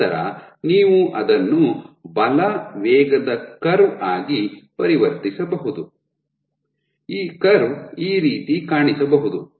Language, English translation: Kannada, So, you can then convert it into a force velocity curve, this curve might look something like this or something like this